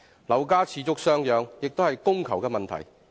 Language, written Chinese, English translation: Cantonese, 樓價持續上揚，亦可歸因於供求問題。, The continuous rise in property prices is also attributable to supply and demand